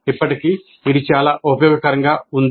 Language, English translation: Telugu, Still, that is quite useful